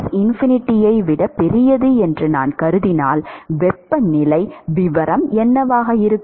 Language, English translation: Tamil, If I assume that Ts is greater than Tinfinity, what will be the temperature profile